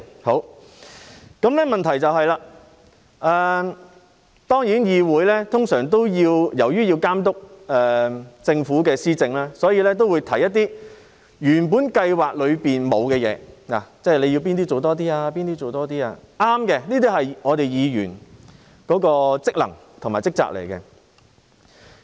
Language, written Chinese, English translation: Cantonese, 不過，由於議會要監督政府施政，所以議員通常會提出一些原本計劃內沒有的項目，例如指出哪些部分要多做一些，這是我們身為議員的職能和職責，是正確的。, However as the legislature has to monitor policy administration by the Government Members would usually propose some items that are not included in the original programmes . For instance we may point out which parts require more efforts . This is our functions and duties as Members it is right to do so